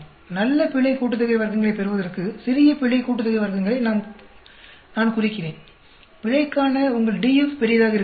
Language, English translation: Tamil, In order to get good error sum of squares, I mean small error sum of squares, your DF for error also should be large